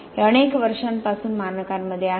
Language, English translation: Marathi, It has been in the Standards for number of years now